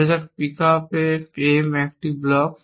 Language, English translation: Bengali, Let say pickup M is a block